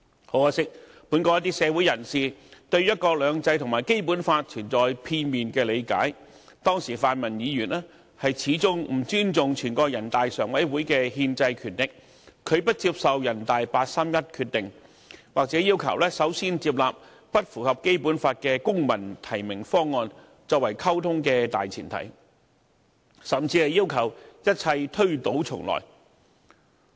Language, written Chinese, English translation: Cantonese, 很可惜，本港一些社會人士對"一國兩制"和《基本法》存在片面的理解，當時泛民議員始終不尊重人大常委會的憲制權力，拒不接受人大常委會八三一決定，或要求首先接納不符合《基本法》的"公民提名"方案作為溝通的大前提，甚至要求一切推倒重來。, Regrettably some people in society held a biased view on one country two systems and the Basic Law while the pan - democratic Members all along refused to respect the constitutional right of the Standing Committee of the National Peoples Congress . They either dismissed the 31 August Decision or demanded the adoption of a Civil Nomination proposal which was in breach of the Basic Law as a prerequisite for communication and some even requested a complete revamp of the constitutional reform